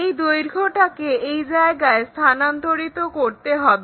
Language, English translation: Bengali, Transfer this length in this direction